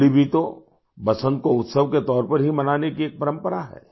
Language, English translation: Hindi, Holi too is a tradition to celebrate Basant, spring as a festival